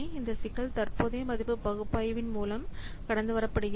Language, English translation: Tamil, So, those problems are overcome by in this present value analysis